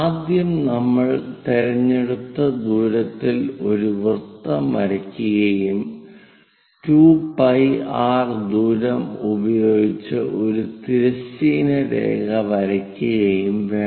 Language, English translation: Malayalam, First, we have to draw a circle of chosen radius and know that 2 pi r distance draw a horizontal line